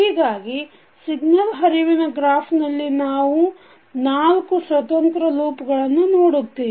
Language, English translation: Kannada, So you see in this particular signal flow graph we have four independent loops